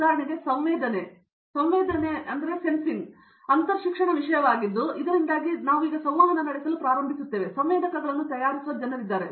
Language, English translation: Kannada, For example, sensing is a interdisciplinary topic so we start now interacting with say people who make sensors